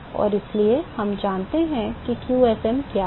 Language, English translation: Hindi, And so, we know what qsm